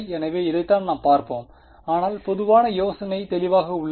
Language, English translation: Tamil, So, this is what we will look at, but is the general idea clear